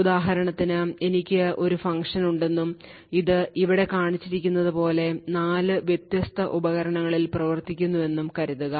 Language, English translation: Malayalam, So, for example, let us say that I have a function and this exactly same function is implemented in 4 different devices as shown over here